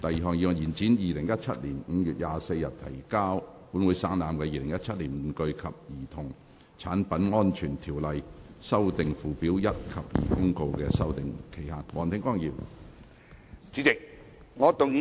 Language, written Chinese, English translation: Cantonese, 第二項議案：延展於2017年5月24日提交本會省覽的《2017年玩具及兒童產品安全條例公告》的修訂期限。, Second motion To extend the period for amending the Toys and Childrens Products Safety Ordinance Notice 2017 which was laid on the Table of this Council on 24 May 2017